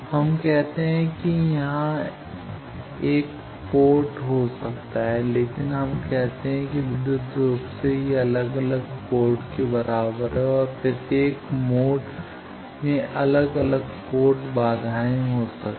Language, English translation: Hindi, So, we say that it is though there may be a single port there, but we say electrically it is equivalent different ports and each mode may have different port impedances